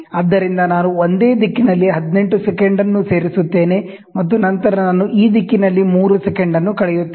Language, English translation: Kannada, So, I will add 18 in the same direction, and then I will subtract 3 in this direction